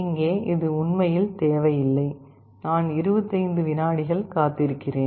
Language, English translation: Tamil, And here, this is not required actually, I am waiting for 25 seconds